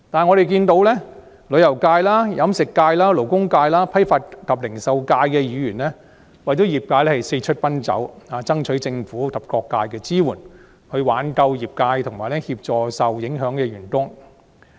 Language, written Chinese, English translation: Cantonese, 我們看到旅遊界、飲食界、勞工界、批發及零售界的議員為業界四出奔走，爭取政府及各界支援，以挽救業界和協助受影響的員工。, We see that Members representing the tourism catering labour and wholesale and retail sectors have been going around to solicit assistance from the Government and various quarters of society so as to save the industries and assist the affected workers